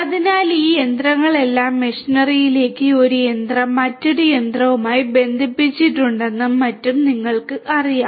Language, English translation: Malayalam, So, all these machinery to machinery you know one machine connected to another machine and so on